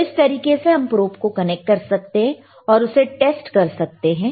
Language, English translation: Hindi, So, so anyway, this is how you can connect the probe and test the probe, all right